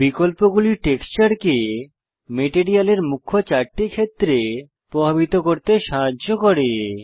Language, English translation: Bengali, There are various options here that help the texture influence the material in four main areas